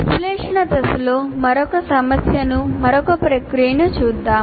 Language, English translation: Telugu, Now let us look at another issue, another process in analysis phase